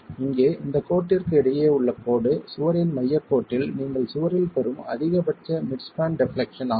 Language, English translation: Tamil, The line between this distance here at the center line of the wall is the mid span deflection, the maximum mid span deflection that you are getting in the wall